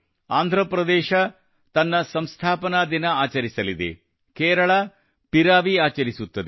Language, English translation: Kannada, Andhra Pradesh will celebrate its foundation day; Kerala Piravi will be celebrated